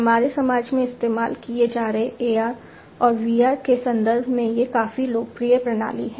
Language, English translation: Hindi, These are quite popular systems in terms of AR and VR being used in our society